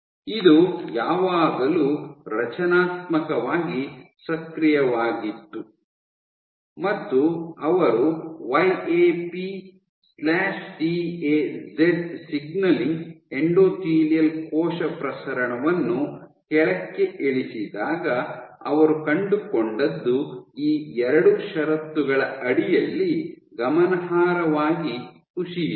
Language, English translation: Kannada, This was always constitutively active and what they found was under these 2 conditions when they knock downed YAP/TAZ signaling endothelial cell proliferation dropped significantly